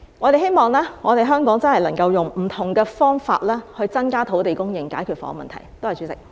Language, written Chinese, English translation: Cantonese, 我們希望香港真的能夠用不同方法來增加土地供應，以解決房屋問題。, We hope that the Government can really increase the land supply in Hong Kong by different means to solve the housing problems